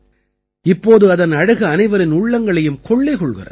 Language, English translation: Tamil, Now their beauty captivates everyone's mind